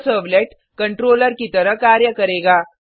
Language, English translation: Hindi, This servlet will act as a controller